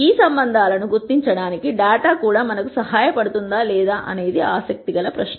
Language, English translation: Telugu, The real question that we are interested in asking is if the data itself can help us identify these relationships